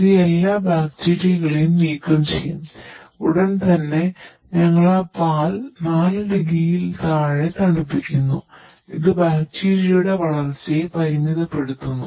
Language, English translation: Malayalam, It will makes all bacteria removed and immediately we are cooling that milk below 4 degree which limits the growth of bacteria () Ok Subsequently